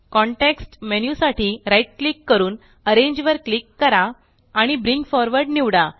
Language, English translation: Marathi, Right click for the context menu, click Arrange and select Send to Back